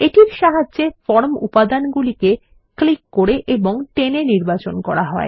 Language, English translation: Bengali, This is used for selecting form elements by clicking and dragging